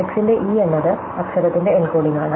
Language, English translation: Malayalam, So, E of x is the encoding of the letter